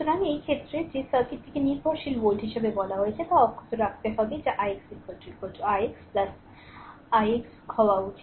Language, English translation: Bengali, So, in this case that the circuit is that I told as the dependent volt with must be left intact that is i x should be is equal to i x dash plus ix double dash